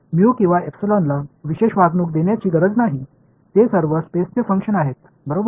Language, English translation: Marathi, There is no need to be giving special treatment to mu or epsilon they all functions of space ok